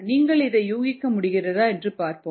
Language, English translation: Tamil, let us see whether you are able to guess this